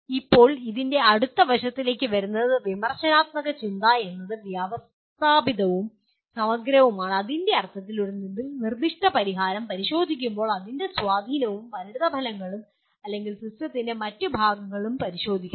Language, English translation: Malayalam, Now coming to the next aspect of this is critical thinking is systematic and holistic in the sense that while examining a proposed solution it examines its impact and consequences or other parts of the system